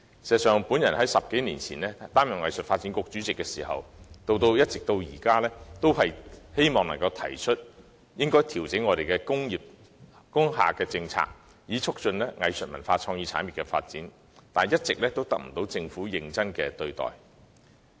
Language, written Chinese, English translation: Cantonese, 事實上，自我10多年前擔任藝術發展局主席以來，一直向政府提出調整工廈政策的建議，旨在促進藝術文化創意產業的發展，卻一直未獲政府認真看待。, In fact since I became the Chairman of the Hong Kong Arts Development Council more than 10 years ago I have been making a recommendation to the Government for changing its industrial building policy with a view to promoting the development of arts cultural and creative industries . However the Government has never taken my proposal seriously